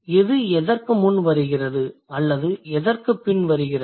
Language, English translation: Tamil, So, which one is coming before what or which one is coming afterward